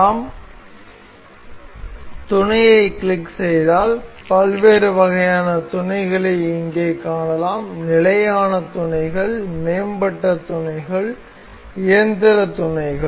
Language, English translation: Tamil, We can see if we click on mate, we can see different kinds of mates here standard mates, advanced mates, mechanical mates